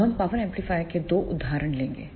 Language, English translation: Hindi, Now, we will take two examples of power amplifier